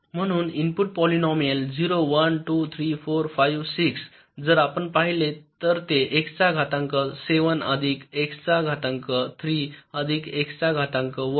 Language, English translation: Marathi, so input polynomial, if you look at it: zero, one, two, three, four, five, six, it will be x to the power seven plus x to the power three plus x to the power one